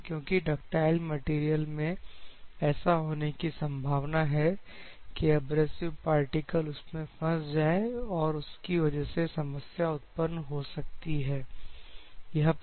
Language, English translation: Hindi, Because in the ductile material there may be a chance or in a soft material there will be always chance that abrasive particles embed and it will create some problem ok